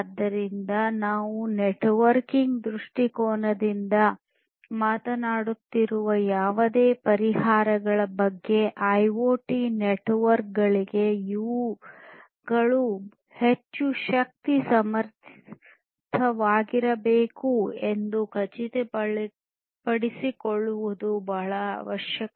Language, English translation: Kannada, So, it is very essential to ensure that whatever solutions we are talking about from a networking point of view or in fact, from any point of view, for IoT networks, IoT systems, these have to be highly power efficient